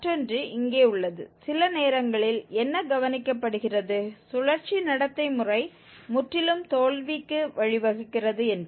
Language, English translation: Tamil, Another one sometimes what is observed, that the cyclic behavior leads to the complete failure of the method